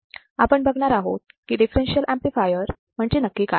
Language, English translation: Marathi, And here today we will see what exactly a differential amplifier is